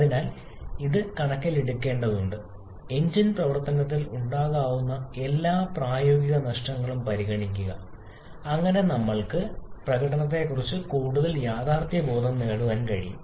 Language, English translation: Malayalam, And therefore, it is required to take into consideration all the practical losses that can be present in the engine operation so that we can get a more realistic estimation of the performance